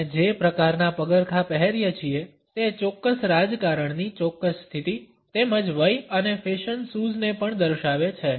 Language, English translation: Gujarati, The type of shoes which we wear also indicate a particular politics a particular status as well as age and fashion sense